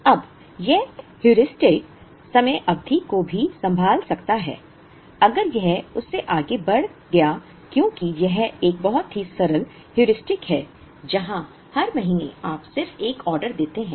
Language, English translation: Hindi, Now, this Heuristic can also handle time period, if it rose beyond that because it is a very simple Heuristic where every month you just place an order